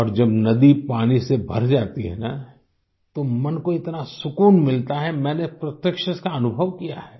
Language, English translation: Hindi, And truly, when a river is full of water, it lends such tranquility to the mind…I have actually, witnessed the experience…